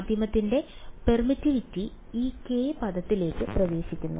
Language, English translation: Malayalam, The permittivity of the medium enters into this k term